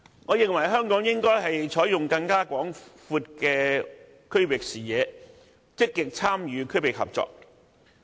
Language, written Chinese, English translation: Cantonese, 我認為香港應有更廣闊的區域視野，積極參與區域合作。, I think Hong Kong should have a wider vision of the region and work more closely with other places in the region